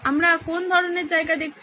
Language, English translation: Bengali, What kind of a place are we looking at